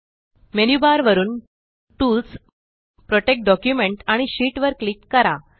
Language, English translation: Marathi, From the Menu bar, click on Tools, Protect Document and Sheet